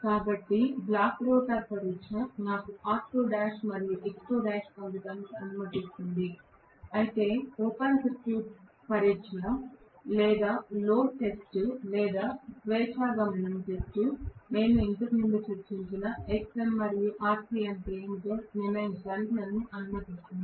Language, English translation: Telugu, So, block rotor test will allow me to get r2 dash and x2 dash whereas the open circuit test or no load test or free running test which we discussed earlier will allow me to decide what is xm and rc